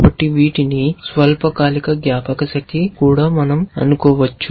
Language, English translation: Telugu, So, we can also think of these as short term memory